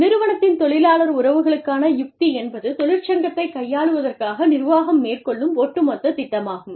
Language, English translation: Tamil, s labor relations strategy, is its management's overall plan, for dealing with union